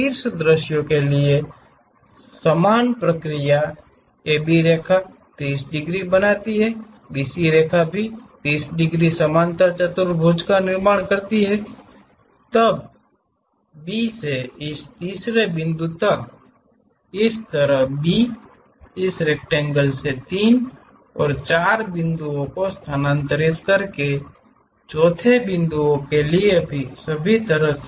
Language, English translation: Hindi, For top view the same procedure AB line makes 30 degrees, BC line makes 30 degrees, construct the parallelogram; then from B all the way to this third point, similarly B, all the way to fourth point by transferring 3 and 4 points from this rectangle